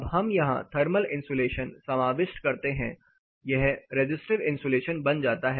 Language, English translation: Hindi, Now let us introduce a thermal insulation here, this becomes resistive insulation